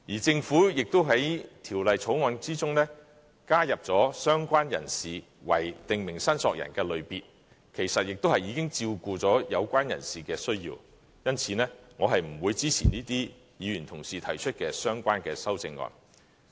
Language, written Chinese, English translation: Cantonese, 政府亦在《條例草案》中加入"相關人士"為"訂明申索人"的類別，其實已經照顧了有關人士的需要，因此我不會支持這些議員同事提出的相關修正案。, Since the Government has proposed to add related person as a category under prescribed claimant to cater to the needs of related persons I will not support the relevant amendments proposed by these Members